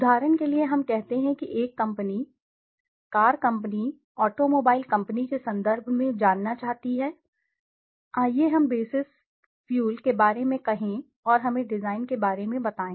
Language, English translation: Hindi, For example let us say a company want to know on terms of Car Company, automobile company for example, let us say on basis fuel and let us say on design